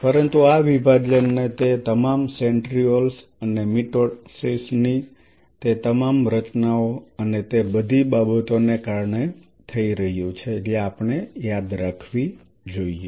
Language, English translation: Gujarati, But this division is being happening because of all those centrioles and all those formations of mitosis and all those things we remember